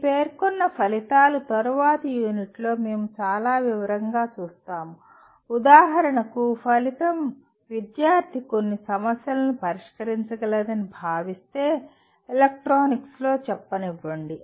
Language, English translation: Telugu, Your stated outcomes which we will see in great detail in the later units, if the outcome for example considers the student should be able to solve certain problems let us say in electronics